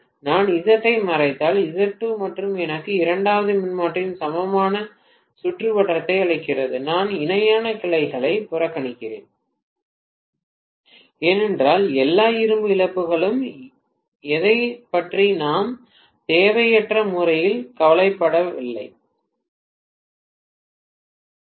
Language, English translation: Tamil, If I hide Z1, just Z2 alone gives me the equivalent circuit of the second transformer, I am neglecting the parallel branches because we are not unduly worried about exactly what are all the iron losses, I am not worried about that